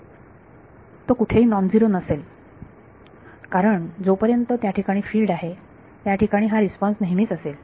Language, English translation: Marathi, It will be not be non zero anywhere because as long as there is a field this response is always going to be there